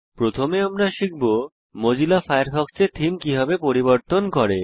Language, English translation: Bengali, Let us first learn how to change the Theme of Mozilla Firefox